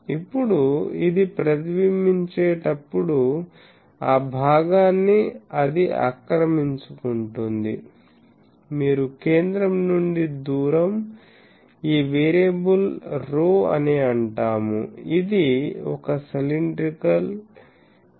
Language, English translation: Telugu, Now, while it is reflected you see I have something like it will occupy the portion, if I call that the distance from the centre these variable is rho this becomes, a cylindrical type of thing